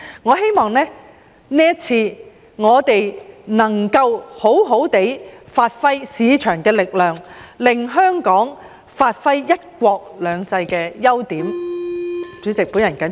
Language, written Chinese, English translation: Cantonese, 我希望我們這次能夠好好發揮市場的力量，令香港發揮"一國兩制"的優點。, I hope that this time Hong Kong can leverage the advantages under one country two systems by maximizing the market forces